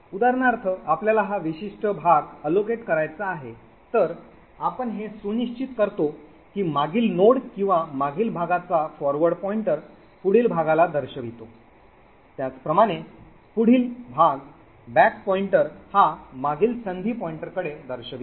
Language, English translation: Marathi, So for example we want to allocate this particular chunk then we ensure that the previous node or the previous chunks forward pointer points to the next chunk forward pointer similarly the next chunks back pointer points to the previous chance pointer